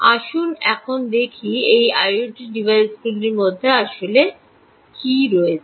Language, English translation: Bengali, let us now see what an i o t device actually contains